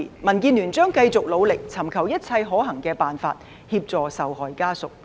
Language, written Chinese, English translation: Cantonese, 民建聯將繼續努力，尋求一切可行的辦法，協助受害者家屬。, DAB will continue its endeavours to seek all feasible ways to assist the family of the victim